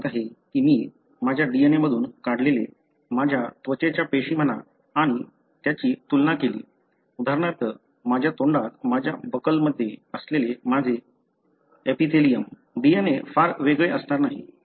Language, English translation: Marathi, You know if I look into my DNA, derived from my, say skin cell and compare it with, for example my epithelium present in my buckle inside my mouth, the DNA is not going to be very different